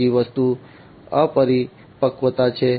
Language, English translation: Gujarati, The second thing is the immaturity